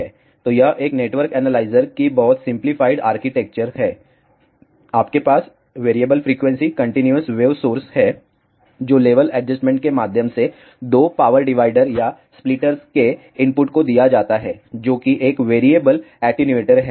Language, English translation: Hindi, So, this is very simplified architecture of a network analyzer, you have a variable frequency continuous wave source, which is given to the input of 2 power dividers or splitters through a level adjustment which is nothing, but a variable attenuator